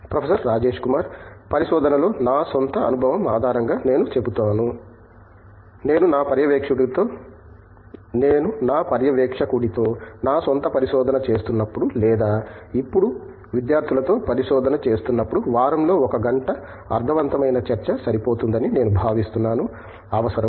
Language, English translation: Telugu, I would say based on my own experience in research with, when I was doing my own research with my supervisor or when I do research now with students, I think a meaningful discussion of an hour in a week is sufficient and required